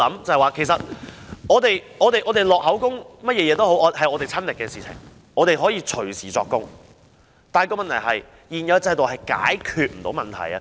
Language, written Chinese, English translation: Cantonese, 這些個案都是我們親身的經歷，我們可以隨時作供，但問題是現有制度無法解決這些問題。, These cases are our personal experiences and we are ready to give our statements anytime yet at issue is that the existing system cannot deal with these problems